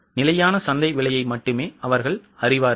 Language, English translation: Tamil, They only know the standard market price